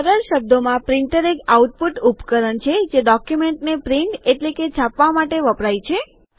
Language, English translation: Gujarati, A printer, in simple words, is an output device used to print a document